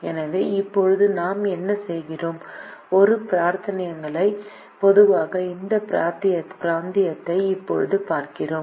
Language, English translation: Tamil, so now what we do is we now look at this region which is common to both the regions